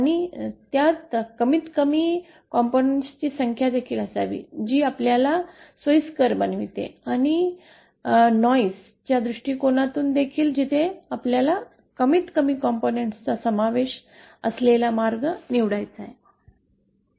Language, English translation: Marathi, And also it should have the minimum number of components that makes us convenient also and from a noise perspective also where we have to choose the path which involves the minimum number of components